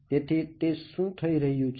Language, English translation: Gujarati, But now what happens